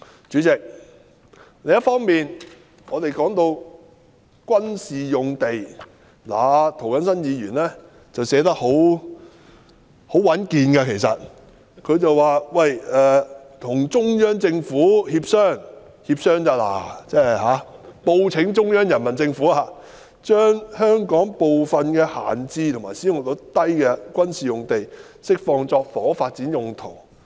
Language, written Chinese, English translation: Cantonese, 主席，另一方面，我們說到軍事用地，其實涂謹申議員寫得很穩健，提出與中央政府協商，只是協商而已，報請中央人民政府，"將香港部分閒置或使用率偏低的軍事用地釋放作房屋發展用途"。, On the other hand President when it comes to military sites actually Mr James TO has used most proper wordings by proposing to negotiate with the Central Government . He only proposes negotiation or reporting to the Central Government for approval on releasing certain idle or underutilized military sites in Hong Kong for housing development purposes